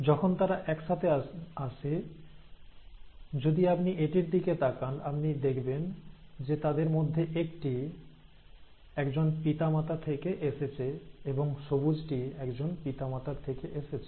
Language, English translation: Bengali, And as they come together, they, so here if you look at this one, you find that one of them is from one parent and the green one is from the other parent